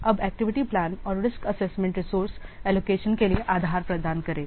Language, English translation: Hindi, Then the activity plan and the risk assessment will provide the basis for allocating the resources